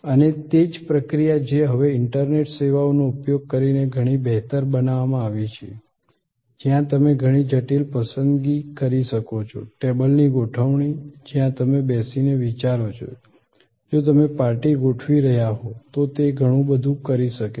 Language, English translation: Gujarati, And that same process as now been improved a lot by using of a internet services, where you can do a lot of complicated selection, arrangement of the table where you will sit and think, if you are arranging a party, a lot of that can be now done remotely when before you arrive at the restaurant